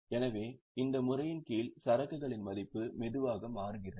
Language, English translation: Tamil, So, under this method, the value of inventory slowly changes